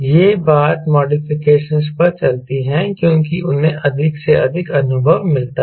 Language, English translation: Hindi, this thing goes on, modifications because of more and more the experience